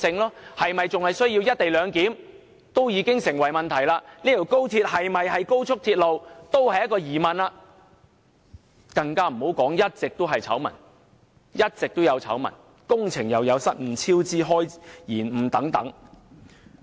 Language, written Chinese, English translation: Cantonese, 高鐵是否仍然需要"一地兩檢"已成問題，高鐵是否一條高速鐵路也成疑問，更不用說接連出現的醜聞，包括工程失誤及超支延誤等。, Not only has the necessity of XRLs co - location arrangement been called into question but also its nature of being a high - speed rail not to mention a series of scandals such as faulty works cost overruns and delays